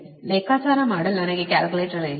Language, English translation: Kannada, i dont have calculator to calculate